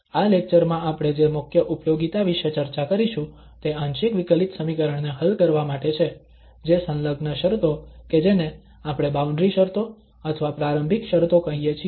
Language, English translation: Gujarati, The major application which we will discuss in this lecture that is for solving the partial differential equation that too with associated conditions that we call boundary conditions or initial conditions